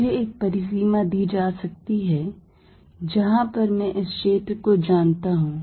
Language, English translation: Hindi, I may be given a boundary and where I know the field